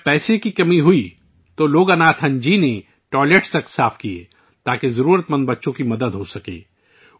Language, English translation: Urdu, When there was shortage of money, Loganathanji even cleaned toilets so that the needy children could be helped